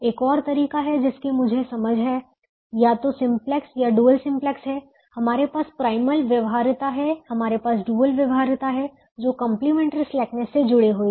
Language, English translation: Hindi, another way i have understanding either simplex or the dual: simplex is: we have a primal feasibility, we have a dual feasibility, which are linked by complementary slackness